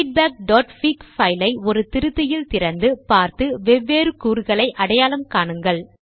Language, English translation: Tamil, View the file feedback.fig in an editor, and identify different components